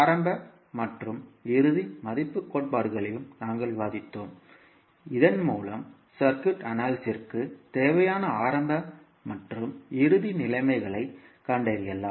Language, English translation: Tamil, And we also discussed the initial and final value theorems also through which we can find out the initial and final conditions required for circuit analysis